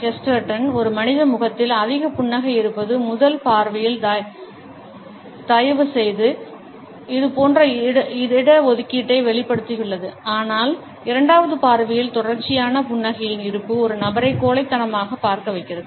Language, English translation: Tamil, In the same way G K Chesterton, has also expressed similar reservations when the presence of too much smile on a human face makes it rather kindly at first glance, but at the second glance this same presence of continuity smile makes a person look rather cowardly